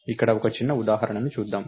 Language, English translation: Telugu, So, lets see a small example here